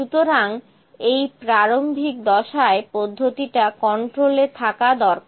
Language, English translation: Bengali, So, during this initial phase the process should be in control